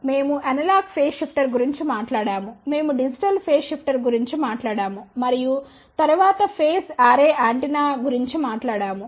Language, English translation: Telugu, We talked about analog phase shifter we talked about digital phase shifter and then we talked about phase array antenna